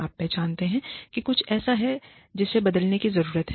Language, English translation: Hindi, You recognize that, there is something, that needs to change